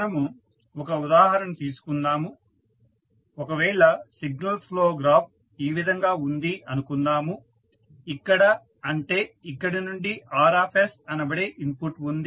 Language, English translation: Telugu, So, let us take one example say if the signal flow graph is like this where you have from here you have a input say Rs